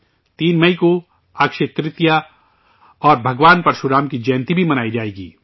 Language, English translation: Urdu, Akshaya Tritiya and the birth anniversary of Bhagwan Parashuram will also be celebrated on 3rd May